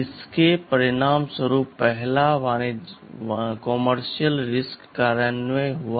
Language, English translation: Hindi, TSo, this resulted in the first commercial RISC implementation